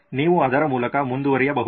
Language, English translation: Kannada, You can run through it